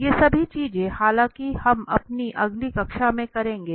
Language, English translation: Hindi, All these things although we will be doing in our next class right, in the next session